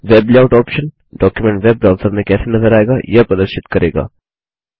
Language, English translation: Hindi, The Web Layout option displays the document as seen in a Web browser